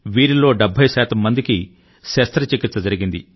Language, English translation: Telugu, Of these, 70 percent people have had surgical intervention